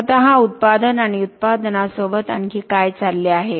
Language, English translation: Marathi, The product itself and along with the product what else is happening